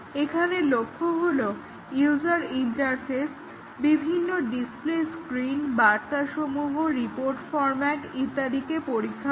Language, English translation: Bengali, So, here the target is to test the user interface; various display screens, messages, report formats and so on